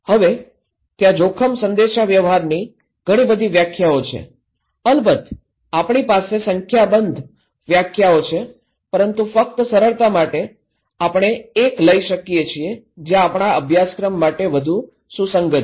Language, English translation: Gujarati, Now, this is the, there are many definitions of risk communications, of course, enormous number of definitions we have but just for simplifications, we can take one which is more relevant for our course